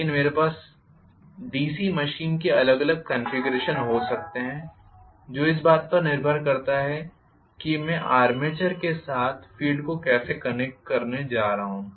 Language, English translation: Hindi, But I can have different configurations of DC machine depending upon how I am going to connect the field along with the armature